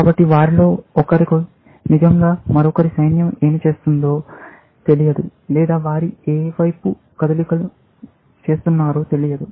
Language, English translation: Telugu, So, you do not really know what the other’s army is doing; which side they were moving